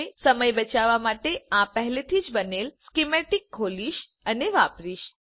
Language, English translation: Gujarati, I will now open and use this already made schematic to save time